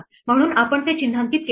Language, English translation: Marathi, So, we did not mark it